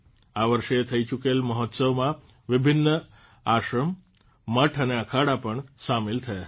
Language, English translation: Gujarati, Various ashrams, mutths and akhadas were also included in the festival this time